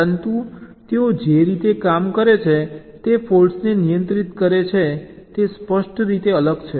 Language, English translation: Gujarati, but the way they work, they handle the faults, are distinctly different